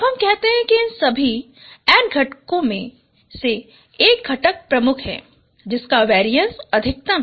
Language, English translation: Hindi, Now we say a component is dominant out of out of all these n components whose variance is the maximum